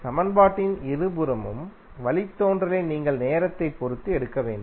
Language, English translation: Tamil, You have to simply take the derivative of both side of the equation with respect of time